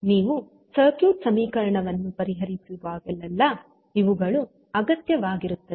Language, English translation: Kannada, So, these are required whenever you are solving the circuit equation